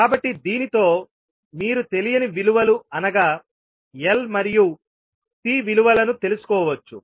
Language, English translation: Telugu, So with this you can find out the value of unknowns that is L and C